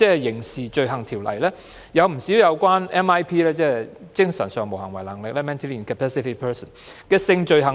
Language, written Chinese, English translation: Cantonese, 《刑事罪行條例》訂明不少有關精神上無行為能力的人的性罪行。, The Crimes Ordinance Cap . 200 provides for a number of sexual offences involving mentally incapacitated persons